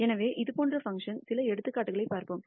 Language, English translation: Tamil, So, we will see some couple of examples of such functions